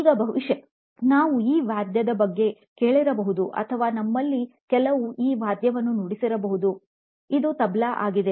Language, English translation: Kannada, Now, we probably have heard of this instrument or some of you even play this instrument called “Tabla”